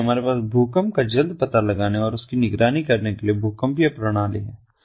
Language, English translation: Hindi, so we have earthquake early detection and monitoring, seismic system